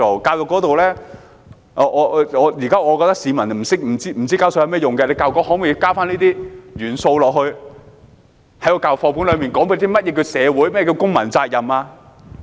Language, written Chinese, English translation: Cantonese, 教育方面，我覺得現時市民不明白繳稅的作用，教育局可否在課本內加入這些元素，講解何謂社會、何謂公民責任？, As far as education is concerned I do not think that the public understand the purpose of paying tax so can the Education Bureau include these elements in the textbooks to explain what society and civic responsibilities are?